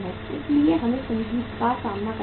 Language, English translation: Hindi, So we will have to face the music